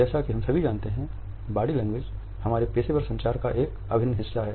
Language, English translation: Hindi, As all of us are aware, body language is an integral part of our professional communication